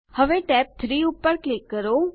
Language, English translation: Gujarati, Now, click on tab 3